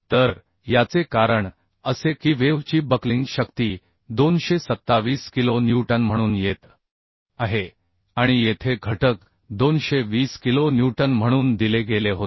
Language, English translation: Marathi, So this is effect, because the buckling strength of the web is coming as 227 kilo newton and the factor shear was given as 220 kilo newton